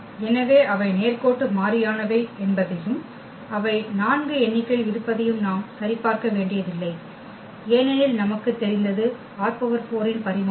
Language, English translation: Tamil, So, we do not have to check we have to check that they are linearly independent and they are 4 in number because, the dimension of R 4 also we know